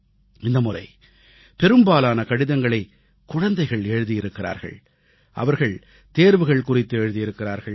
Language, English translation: Tamil, This time, maximum number of letters are from children who have written about exams